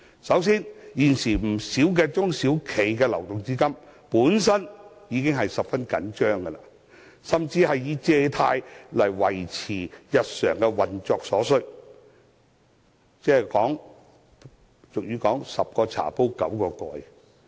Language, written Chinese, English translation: Cantonese, 首先，現時不少中小企的流動資金已是十分緊張，甚至需要靠借貸來維持日常的運作，情況猶如俗語所說的"十個茶煲九個蓋"。, To begin with many SMEs are now under very tight cash flow . Some of them even have to rely on loans to maintain their daily operation . A common Chinese saying 10 kettles with nine lids aptly describes their situation